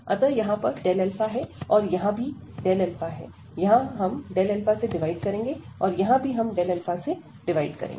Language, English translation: Hindi, So, here delta alpha, and here also this delta alpha, here we will divide by delta alpha, and here also we will divide by delta alpha